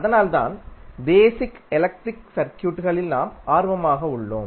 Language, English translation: Tamil, So, that is why we were interested in another phenomena called basic electrical circuits